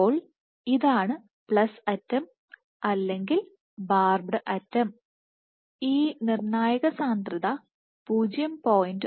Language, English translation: Malayalam, So, this is the plus end or the barbed end this critical concentration is 0